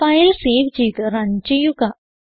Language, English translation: Malayalam, Save the file run it